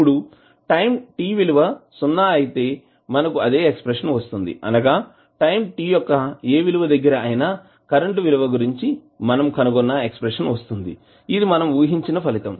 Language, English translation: Telugu, Now if you put the value of t as 0 you will get the same expression which we derive for current i at any time at time t is equal to 0 which is our expected result